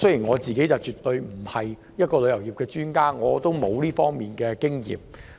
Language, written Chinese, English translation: Cantonese, 我並非旅遊業專家，亦沒有這方面的經驗。, I am not a travel expert nor do I have any experience in this industry